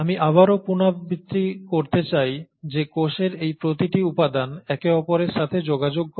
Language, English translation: Bengali, I again want to reiterate that each of these components of the cells are in crosstalk with each other